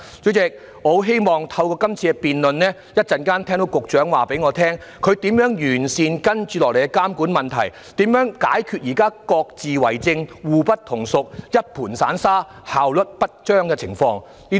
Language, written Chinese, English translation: Cantonese, 主席，我很希望透過今次的辯論，稍後可以聽到局長告知如何能完善接下來的監管工作，如何能解決現時各自為政，互不統屬，一盤散沙，效率不彰的情況。, If the Government fails to do so it and the Secretary for Transport and Housing in particular should be held responsible . President I very much hope that through this debate the Secretary can tell us how to enhance the upcoming monitoring work and how to address the current individualistic unorganized incohesive and ineffective situation